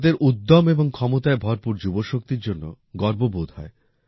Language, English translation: Bengali, India is proud of its youth power, full of enthusiasm and energy